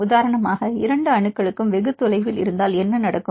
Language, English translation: Tamil, For example, if the two atoms are very far then what will happen